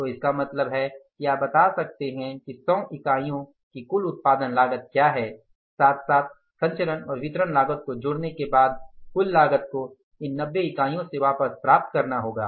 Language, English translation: Hindi, So, it means you can say that what is the total cost for generating the 100 units plus the transmission and distribution cost, that entire cost has to be recovered from these 90 units, right